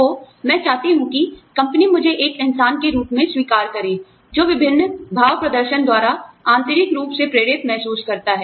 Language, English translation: Hindi, So, I want the company, to acknowledge me, as a human being, who feels intrinsically motivated, by various gestures